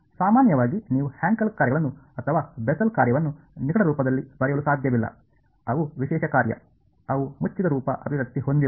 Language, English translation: Kannada, In general you cannot write Hankel functions or Bessel function in closed form; they are special function, they do not have a close form expression